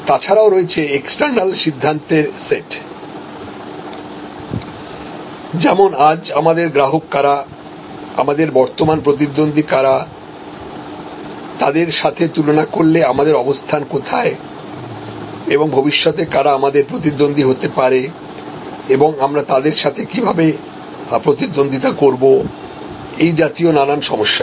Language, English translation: Bengali, And there are sets of a external decisions, who are our current customers, are current competitors, how do we compare with them who be our future competitors and how are we going to compete against them these kind of issues